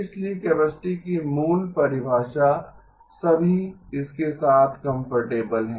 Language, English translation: Hindi, So basic definition of capacity everyone is comfortable with that